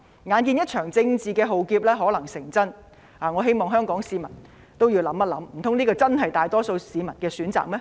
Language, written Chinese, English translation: Cantonese, 眼見一場政治的浩劫可能成真，我希望香港市民細想，難道這真的是大多數市民的選擇嗎？, Seeing that a political catastrophe may come true I hope that Hong Kong people will think about this Is this really the choice of the majority of Hong Kong people?